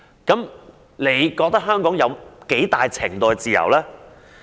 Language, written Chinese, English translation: Cantonese, 如是者，她認為香港有多大程度的自由？, If that is the case how much freedom does she think is being enjoyed in Hong Kong?